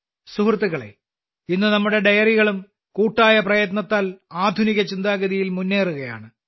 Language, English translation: Malayalam, Friends, with collective efforts today, our dairies are also moving forward with modern thinking